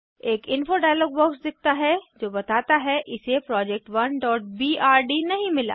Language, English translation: Hindi, An info dialog box will appear which says that it cannot find the schematic